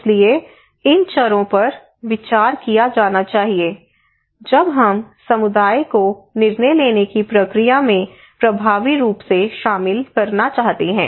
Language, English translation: Hindi, So these variables should be considered when we want effectively to engage community into the decision making process